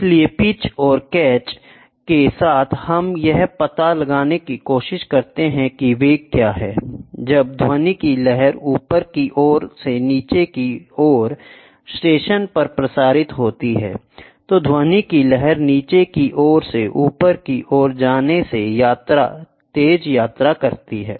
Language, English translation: Hindi, So, with the pitch and catch we can try to figure out what is the velocity, right, when the sound wave is transmitted from the upstream to the downstream station, the sound wave travels faster than going from downstream to upstream